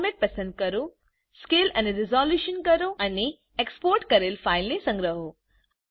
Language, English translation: Gujarati, Choose the Format,Scale and Resolution and save the exported file